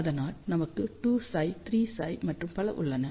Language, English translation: Tamil, So, we have 2 psi 3 psi and so on